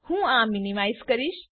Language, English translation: Gujarati, I will minimize this